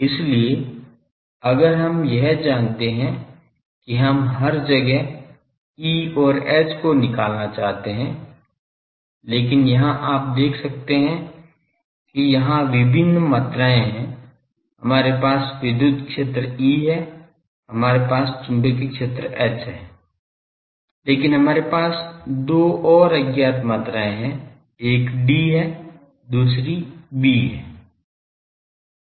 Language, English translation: Hindi, So, if we know this we want to find what is E and H everywhere, but here you see there are various quantities we have the electric field E, we have the magnetic field H, but we also have two more unknown quantities one is D, another we have B